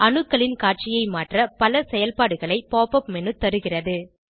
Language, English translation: Tamil, Pop up menu offers many functions to modify the display of atoms